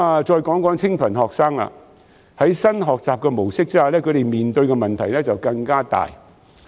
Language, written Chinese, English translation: Cantonese, 再談談清貧學生，在新的學習模式下，他們面對的問題更大。, When it comes to poor students they face even bigger problems under the new learning model